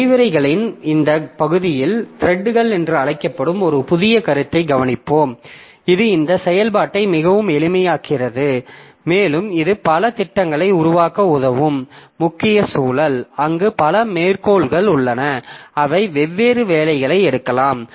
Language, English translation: Tamil, So, in this part of the lecture, so we'll be looking into a new concept called threads which will make this execution much more simple and that will help us in developing programs particularly for multi code environments where there several codes are there and they can take up the different jobs